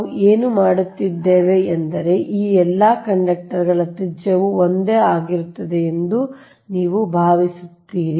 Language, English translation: Kannada, right, and what we are doing is that you are assuming that all this, all this conductors, they have their, your radius remains same